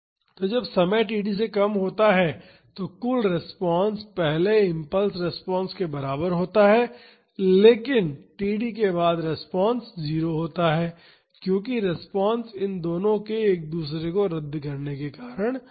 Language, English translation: Hindi, So, when time is less than td then the total response is equal to the first impulse response, but after td the response is 0 because the response is due to both these cancel out each other